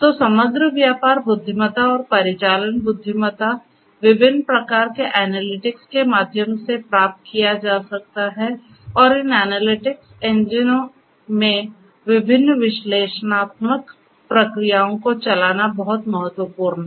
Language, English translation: Hindi, So, overall business intelligence and operational intelligence can be derived through different types of analytics and running different analytical processes in these analytics engines is very important